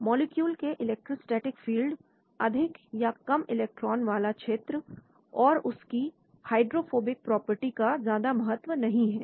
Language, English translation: Hindi, Electrostatic field, electron rich or poor regions of the molecule and then hydrophobic properties are relatively unimportant